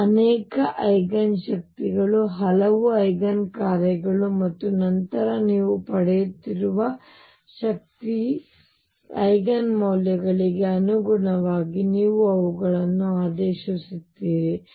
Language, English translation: Kannada, Many, many Eigen energies, many, many Eigen functions and then you order them according to the energy Eigen values you are getting